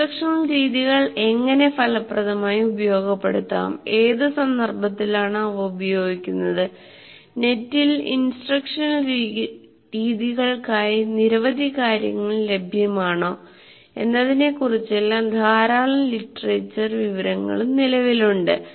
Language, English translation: Malayalam, Lot of literature exists about how to effectively utilize this in instructional methods and in what context they work and if there are any tools that are available to do that, all that plenty of information is available on the net